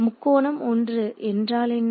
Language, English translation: Tamil, So, what is triangle 1